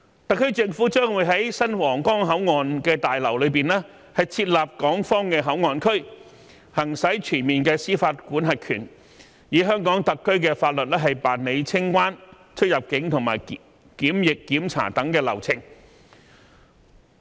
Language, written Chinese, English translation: Cantonese, 特區政府將會在新皇崗口岸大樓內設立港方口岸區，行使全面司法管轄權，以香港特區法律辦理清關、出入境及檢疫檢查等流程。, The SAR Government will set up the Hong Kong Port Area within the Huanggang Port building to fully exercise Hong Kongs jurisdiction and conduct custom clearance and quarantine procedures and so on under the laws of Hong Kong SAR